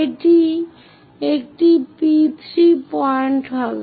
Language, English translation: Bengali, This will be P3 point